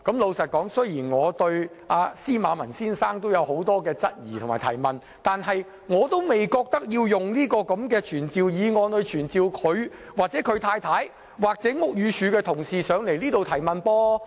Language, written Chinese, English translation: Cantonese, 老實說，雖然我對司馬文先生的情況有很多疑問，但我並不認為須藉傳召議案傳召他、他太太或屋宇署同事前來接受提問。, To be honest I have many questions concerning Mr ZIMMERMANs situation but I do not think we should summon him his wife or staff of Buildings Department to answer questions